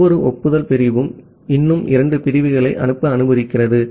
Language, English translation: Tamil, That every acknowledgement segment allows two more segments to be sent